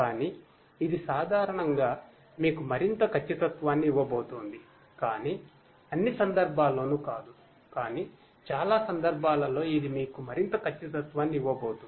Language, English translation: Telugu, The, but it is going to give you more accuracy in general, but not in all cases, but in most cases it is going to give you more and more accuracy